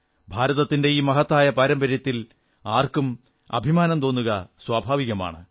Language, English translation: Malayalam, It is natural for each one of us to feel proud of this great tradition of India